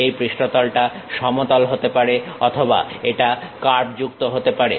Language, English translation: Bengali, This surface can be plane surface or it can be curved surface